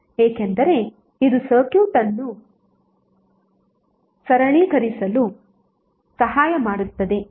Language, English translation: Kannada, because it helps in simplifying the circuit